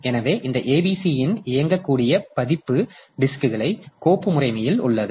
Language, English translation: Tamil, So, this ABC the executable version of this ABC, so this is there in the file system of the disk